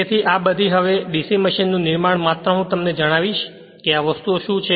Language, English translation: Gujarati, So, all these here now construction of DC machine just I will tell you what exactly this things